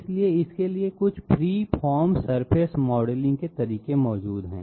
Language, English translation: Hindi, So for that some free form surface modeling methods are present, whatever free form surface